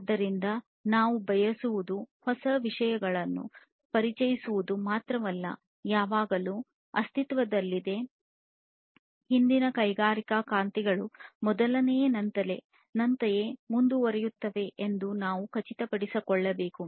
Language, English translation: Kannada, So, not only that we want to introduce newer things, but also we have to ensure that whatever has been existing from the previous industry revolutions continue and continue at least in the same form that it was before